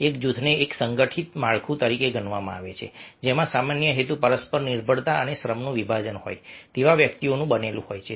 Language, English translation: Gujarati, a group may be regarded as an organized structure composed of individuals having a common purpose, interdependence and division of labor